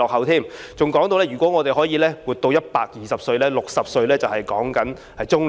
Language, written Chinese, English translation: Cantonese, 他還說如果我們能活到120歲 ，60 歲只是中年。, He added that if we can live to the age of 120 60 is merely middle age